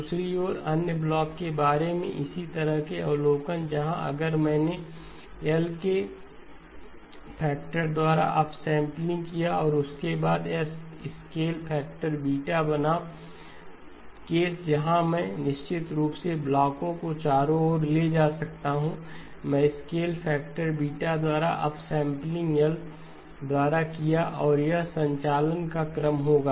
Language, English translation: Hindi, On the other hand, similar observation regarding the other block where if I did up sampling by a factor of L followed by a scale factor beta versus the case where of course I could move the blocks around, I do the scale factor by beta, up sampling by L and this would be the sequence of operations